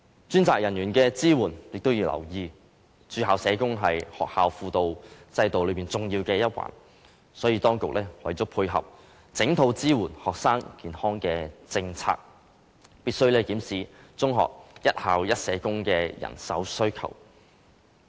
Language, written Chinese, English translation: Cantonese, 當局也要留意專責人員的支援，駐校社工是學校輔導制度中重要的一環，所以當局為了配合整套支援學生健康的政策，必須檢視中學一校一社工的人手需求。, The authorities should also pay attention to the support given to designated personnel . As school social worker is an important part of the school guidance system the authorities must review whether the arrangement of one social worker for each secondary school can meet the manpower requirement needed to dovetail with the entire policy of supporting the promotion of students health